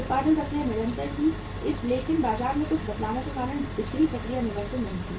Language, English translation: Hindi, Production process was continuous but the selling process was not continuous that was affected because of some changes in the market